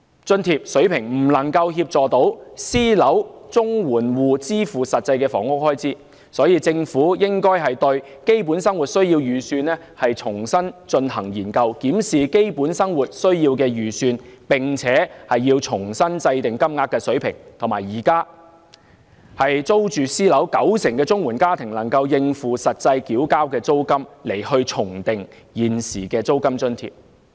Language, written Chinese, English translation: Cantonese, 津貼水平未能協助私樓綜援戶支付實際的房屋開支，有見及此，政府應該重新研究"基本生活需要預算"，透過檢視"基本生活需要預算"，重新制訂金額的水平，並且以現時租住私樓的綜援家庭能夠應付實際繳交的租金的九成為目標，重訂現時的租金津貼。, The level of allowance cannot assist CSSA recipients living in private properties to meet the housing expenditure actually paid . In view of this the Government should re - examine the Basic Needs approach and formulate a new level of CSSA payment through reviewing the Basic Needs approach . The existing rent allowance should also be adjusted with the target of meeting 90 % of the rent actually paid by CSSA households currently renting private properties as their dwellings